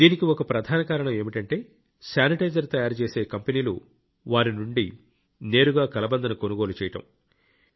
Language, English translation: Telugu, One of the major reasons for this was that the companies making sanitizers were buying Aloe Vera directly from them